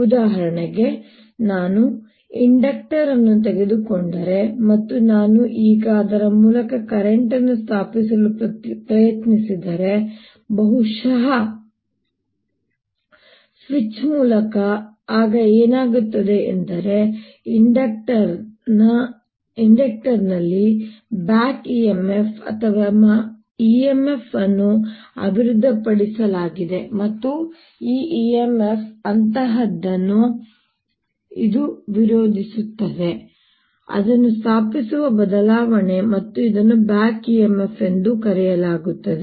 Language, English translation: Kannada, for example, if i take an inductor and we have seen, if i now try to establish the current through it, maybe through a switch, then what happens is there's a back e m f or e m f developed in the inductor, and this e m f is such that it opposes change, that is establishing it, and this is also therefore known as back e m f